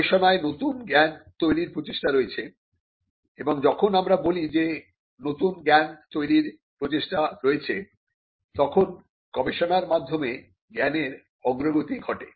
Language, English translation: Bengali, In research, there is an endeavor to create new knowledge and when we say there is an endeavor to create new knowledge, there is an advancement of knowledge through research